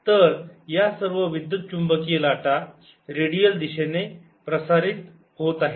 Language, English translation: Marathi, so all this electromagnetic waves of propagating in the redial direction